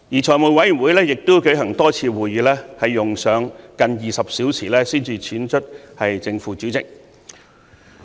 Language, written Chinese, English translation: Cantonese, 財務委員會舉行了多次會議，用上近20小時才選出正副主席。, The Finance Committee has held a number of meetings spending almost 20 hours just to elect its Chairman and Deputy Chairman